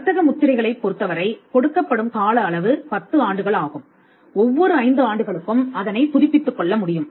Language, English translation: Tamil, Trademarks as I said trademarks the duration is it is granted for 10 years it can be renewed every 5 years